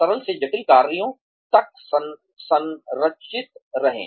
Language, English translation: Hindi, Be structured, from simple to complex tasks